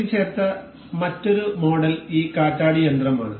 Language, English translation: Malayalam, Another assembled model is the this windmill